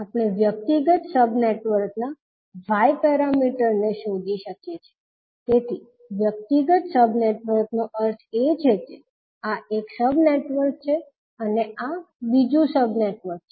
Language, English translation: Gujarati, We can find the Y parameters of individual sub networks, so individual sub networks means one is this sub networks and another is this sub network